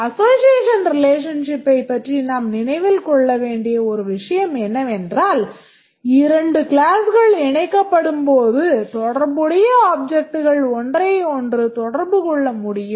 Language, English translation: Tamil, One thing that we must remember about the association relationship is that when two classes are associated the corresponding objects can communicate with each other